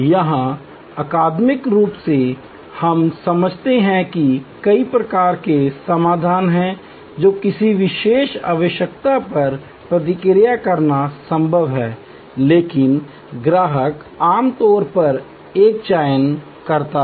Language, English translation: Hindi, Here, academically we understand that there is a wide variety of solutions that are possible to respond to a particular need, but the customer usually makes a selection